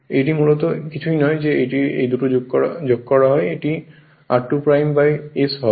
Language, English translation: Bengali, So, nothing this is basically if you add these two it will be r 2 dash by s right